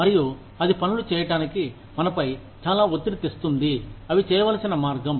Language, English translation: Telugu, And, that puts up a lot of pressure on us, to do things, the way, they need to be done